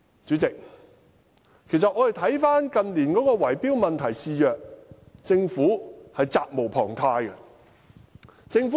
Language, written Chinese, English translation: Cantonese, 主席，其實我們看到近年圍標問題肆虐，政府是責無旁貸的。, President actually in recent years we have seen the bid - rigging problem become rampant and for this the Government has an unshirkable responsibility